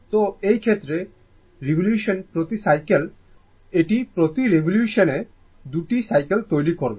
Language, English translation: Bengali, So, in this case, your number of cycles per revolution means it will make 2 cycles per revolution